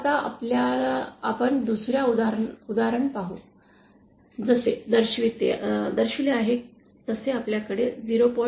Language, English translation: Marathi, Now let us see another example, we have a load 0